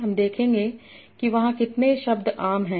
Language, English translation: Hindi, So what I will do, I will see how many words are common there